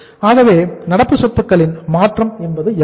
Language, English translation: Tamil, So change in the current asset is how much